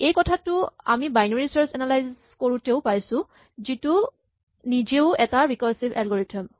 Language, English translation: Assamese, We saw this when we were looking at how to analyse binary search which was also a recursive algorithm